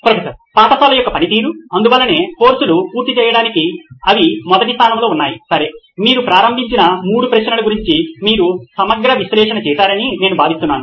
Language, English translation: Telugu, The function of the school itself, this is why they exist in the first place to complete courses, okay I think you have done a comprehensive analysis of the three questions that you started off with